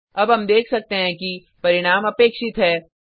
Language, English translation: Hindi, Now we can see that the result is as expected